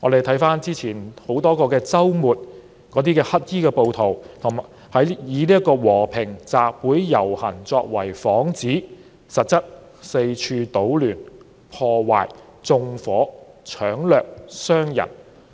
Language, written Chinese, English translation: Cantonese, 回看之前多個周末，黑衣暴徒以和平集會遊行作幌子，實質是四處搗亂、破壞、縱火、搶掠、傷人。, Looking back at previous weekends rioters clad in black used peaceful assemblies as a façade to cover their disturbances vandalism arson looting and assaults